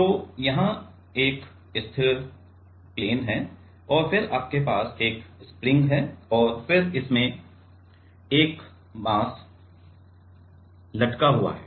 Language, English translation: Hindi, So, here is a fixed plain right, and then you have a spring, and then a mass is hanging from it right ok